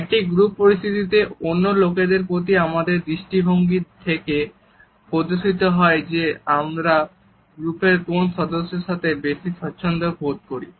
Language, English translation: Bengali, In a group situation our orientation towards other people also displays with which group member we are more comfortable